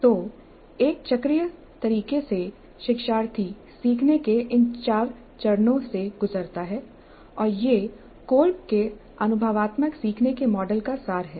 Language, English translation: Hindi, So in a cyclic way the learner goes through these four stages of learning and this is the essence of Colbes model of experiential learning